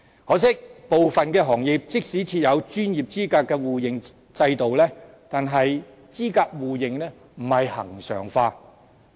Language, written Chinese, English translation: Cantonese, 可惜的是，部分行業即使設有專業資格的互認制度，但是資格互認並非恆常化。, Unfortunately although there is a system of mutual recognition of qualifications for certain industries such arrangements are not regular